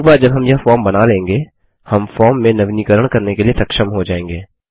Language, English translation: Hindi, Once we design this form, we will be able to update the form